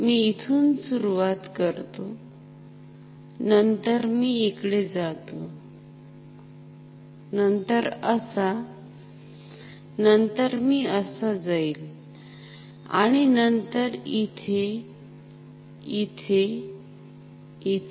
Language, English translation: Marathi, So, let me start from here, then let me go like this; like this, then like this, then I will go like this, and then here; here; here